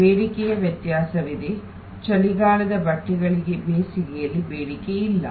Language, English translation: Kannada, Demand variation is there, winter clothes are not demanded during summer